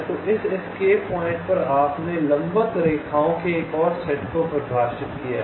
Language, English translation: Hindi, so on this escape points, you defined another set of perpendicular lines